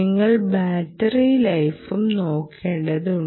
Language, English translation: Malayalam, then the battery life time is dependent